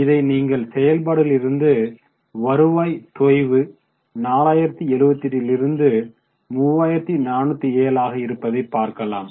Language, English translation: Tamil, So, you can see that the revenue from operations gross has fallen from 4078 to 3407